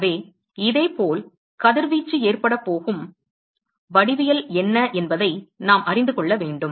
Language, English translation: Tamil, So, similarly we need to know what is the what is the geometry at which the radiation is going to occurs